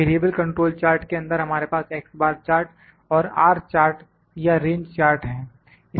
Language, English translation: Hindi, In for variable control chart we have X bar chart and R charts or range chart